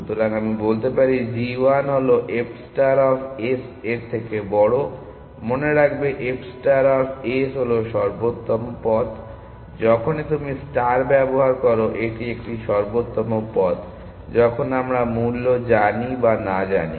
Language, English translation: Bengali, So, let me just call a g 1 is greater than f star of s, remember f star of s is the optimal path; whenever you use the star it is an optimal path, whether we know in the value or not essentially